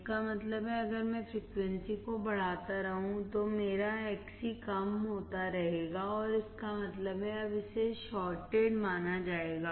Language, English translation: Hindi, That means that if I keep on increasing the frequency, my Xc will keep on decreasing and that means, that it is considered now as a shorted